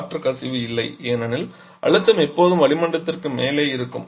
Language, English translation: Tamil, There is no air leakage because the pressure always remains above atmospheric